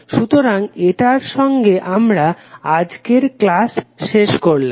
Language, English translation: Bengali, So, with this we close our today’s session